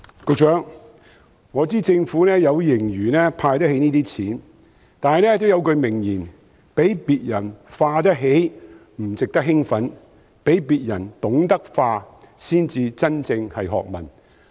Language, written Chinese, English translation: Cantonese, 局長，我知道政府有盈餘，可以負擔"派錢"的開支，但有一句名言："比別人花得起不值得興奮，比別人懂得花才是真正學問"。, Secretary I know that the Government has a surplus and can afford giving cash handout . Nonetheless as a famous quote goes Having greater affordability is not a cause for celebration; spending smart is the knowledge